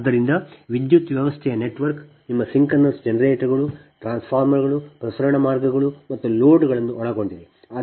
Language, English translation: Kannada, so a power system network actually comprises your synchronous generators, a transformers, transmission lines and loads